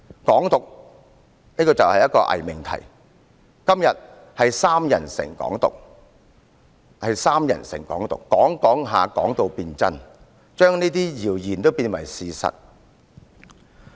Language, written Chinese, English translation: Cantonese, "港獨"是一個偽命題，今天是"三人成'港獨'"，人們不斷地談論，謠言便變成事實。, Hong Kong independence is a pseudo proposition . Today three peoples slander makes Hong Kong independence become reality . When people keep talking about a rumour the rumour will become a fact